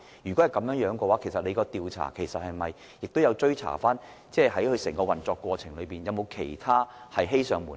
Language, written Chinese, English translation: Cantonese, 如果是這樣，當局在調查過程中有否追查承辦商在整個運作期間，是否還有其他事情欺上瞞下？, If so has any action been taken by the authorities in the course of investigation to ascertain whether the Contractor has also failed to inform the Government and the public about other malpractices?